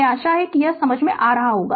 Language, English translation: Hindi, I hope you have understood this one right